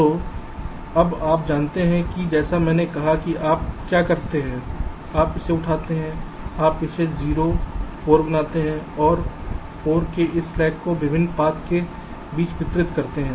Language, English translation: Hindi, as i said, let say you pick up this, you make this zero four and distribute this slack of four among the different paths